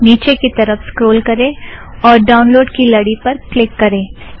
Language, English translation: Hindi, Scroll down and click on the link to download